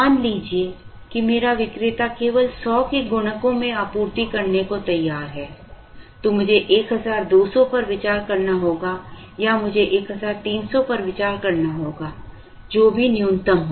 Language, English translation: Hindi, Then, comes a next question, now can my vendor supply 1225, suppose my vendor is willing to supply only in multiples of 100 then I may have to consider 1200 or I may have to consider 1300, whichever is minimum